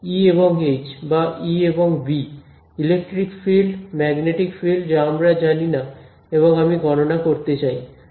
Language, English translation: Bengali, E and H or E and B, electric field magnetic field this is what I do not know and I want to calculate right